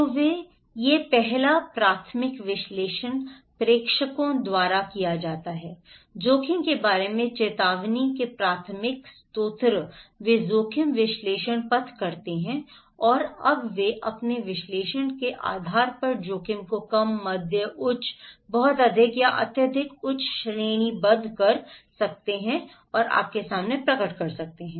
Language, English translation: Hindi, So, these first primary analysis is done by the senders, the primary source of informations about risk, they do the risk analysis path, and now they based on their analysis they can categorize the risk low, medium, high, very high or extreme high and so you can